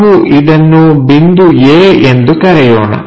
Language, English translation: Kannada, So, let us call point A